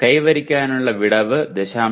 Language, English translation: Malayalam, The attainment gap is 0